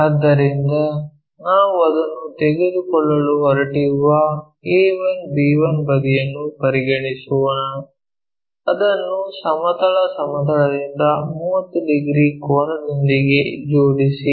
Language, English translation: Kannada, So, the side let us consider a 1 b 1 side we are going to pick it, align it with 30 degrees angle from the horizontal plane